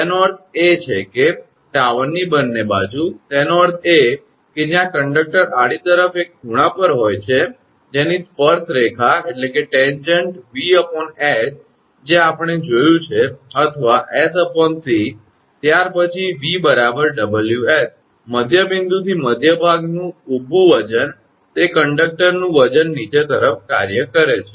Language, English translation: Gujarati, That means both side of the tower; that means, where the conductor is at an angle to the horizontal whose tangent is V by H that we have seen or s by c since V is equal to omega Ws, W into s the vertical weight of the mid from the through the midpoint acting downwards that conductor weight